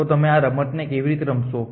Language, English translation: Gujarati, So, how would you play this game